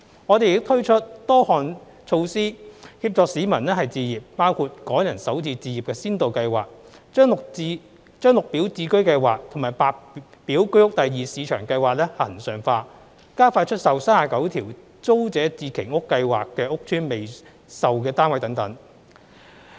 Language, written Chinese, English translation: Cantonese, 我們亦推出多項措施協助市民置業，包括"港人首次置業"先導項目、將綠表置居計劃和白表居屋第二市場計劃恆常化、加快出售39條租者置其屋計劃屋邨的未售單位等。, Besides we have put in place an array of initiatives to help people acquire homes including introducing the Starter Homes pilot projects for Hong Kong Residents regularizing the Green Form Subsidised Home Ownership Scheme and White Form Secondary Market Scheme accelerating the sale of the unsold flats in the 39 Tenants Purchase Scheme estates etc